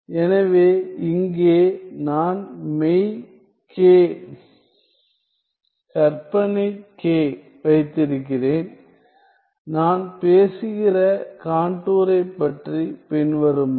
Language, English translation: Tamil, So, I have real k imaginary k here and the contour i am talking about is the following